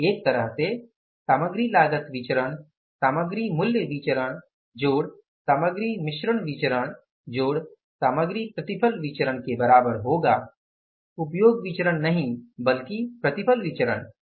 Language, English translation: Hindi, So, in a way material cost variance will be equal to material price variance plus material mixed variance plus material yield variance, not usage variance but yield variance